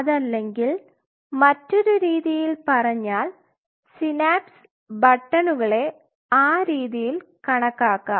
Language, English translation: Malayalam, Or in other word synaptic button could be quantified in that way